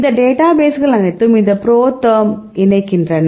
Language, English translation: Tamil, All these databases they linked these ProTherm database